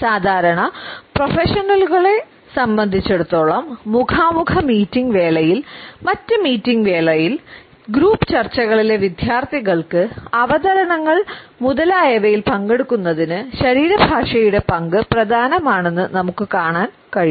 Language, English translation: Malayalam, For us normal professionals, we find that the role of body language is important in all face to face exercises participation during meetings participation, for students during the group discussions, making presentations etcetera